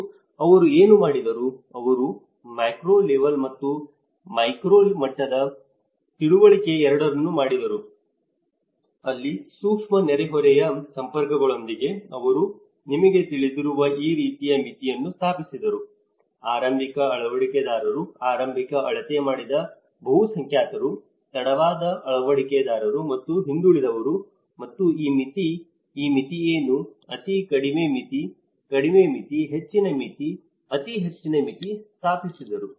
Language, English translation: Kannada, And what they did was; they did both the micro level and the macro level understanding where with a micro neighbourhood networks, they set up this kind of threshold you know the which have the early adopters, early measured majority adopters, late majority and laggards and these threshold; what are these threshold; very low threshold, low threshold, high threshold, very high threshold